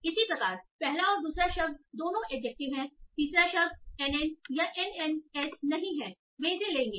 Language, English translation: Hindi, Similarly, both first and second word are adjectives, third word is not anna nana ns will take it